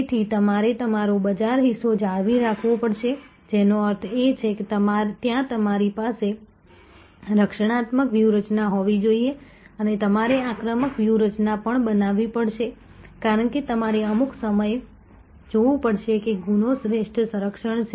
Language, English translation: Gujarati, So, you have to retain your market share, which means that there you have to have a defensive strategy and you may have to also create an offensive strategy, because you have to see some time offense is the best defense, so you have to be in a mode of growth here